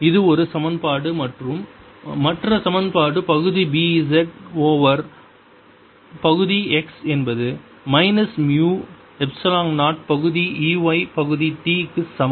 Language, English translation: Tamil, that's one equation, and the other equation is partial b z over partial x is equal to minus mu, zero, epsilon zero, partial e, y, partial t